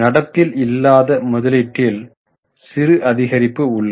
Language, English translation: Tamil, Non current investments have slightly increased